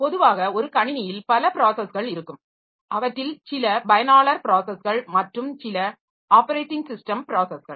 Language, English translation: Tamil, So, we can have some user programs and some user processes and some system operating system processes